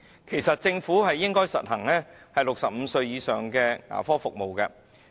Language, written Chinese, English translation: Cantonese, 其實政府應該為65歲以上人士提供牙科服務。, In fact the Government should provide dental service to people aged 65 years or above